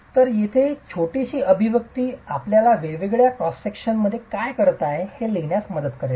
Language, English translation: Marathi, So, this little expression here is going to help us write down what is R at different cross sections